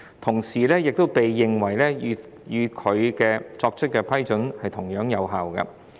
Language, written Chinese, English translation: Cantonese, 同時也應被認為與他們自己作出的批准同樣有效。, It shall be regarded by the other Contracting parties as having the same force as an approval issued by them